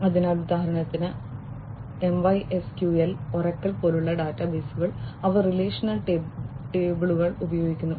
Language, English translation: Malayalam, So, for example, databases like MySQL, Oracle, etcetera they use relational tables